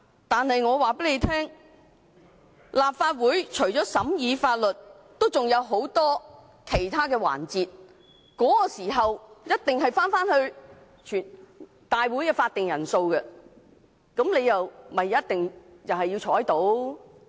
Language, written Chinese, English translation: Cantonese, 但我告訴他們，立法會會議除了審議法律外，還有很多其他的環節，屆時一定要符合立法會會議的法定人數，他們也同樣要在席。, But I must tell them that apart from scrutinizing laws a Council meeting also comprises many other proceedings where the quorum requirement for Council meetings must be fulfilled and they must likewise be present